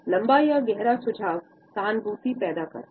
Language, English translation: Hindi, A prolonged or deeper tilt creates empathy